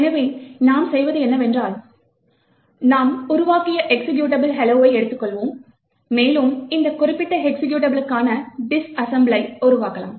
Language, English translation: Tamil, So, what we do is we take the hello executable that we have created, and we could actually create the disassemble for that particular executable